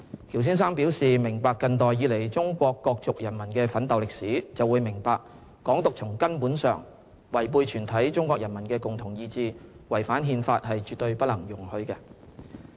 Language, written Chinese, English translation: Cantonese, 喬先生表示，"明白近代以來中國各族人民的奮鬥歷史，就會明白'港獨'從根本上違背全體中國人民的共同意志，違反憲法，是絕對不能容許的"。, Anyone who knew about the history of struggle of the various ethnic groups of China would understand that Hong Kong independence goes fundamentally against the joint will of the people of China and violates the Constitution and thus will in no way be tolerated he said